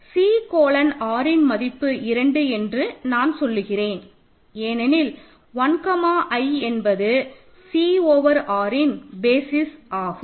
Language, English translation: Tamil, If you take so if you take C colon R I claim is 2, because 1 comma i is a basis of R of C over R